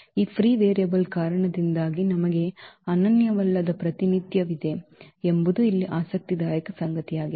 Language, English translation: Kannada, What is interesting here that we have a non unique representation because of this free variable